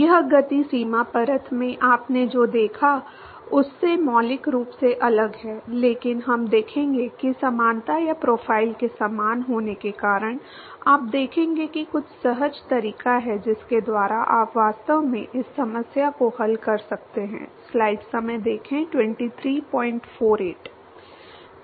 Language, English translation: Hindi, This is fundamentally different from what you saw in the momentum boundary layer, but we will see that because of the similarity or the profile is similar, you will see that there is some intuitive way by which you can actually solve this problem